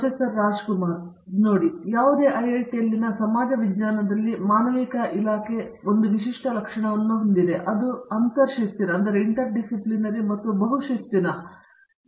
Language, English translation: Kannada, See, the Department of Humanities in Social Sciences in any IIT is has a unique feature, which is itÕs intra disciplinary and multidisciplinary nature